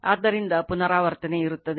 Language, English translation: Kannada, So, repetition will be there is not it